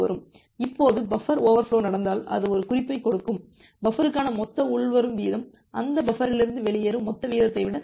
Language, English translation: Tamil, Now if buffer overflow happens that gives an indication that, well the total incoming rate to the buffer exceeds the total outgoing rate from that buffer